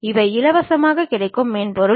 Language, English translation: Tamil, These are the freely available software